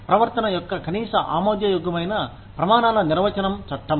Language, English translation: Telugu, The law is the definition of, the minimum acceptable standards of behavior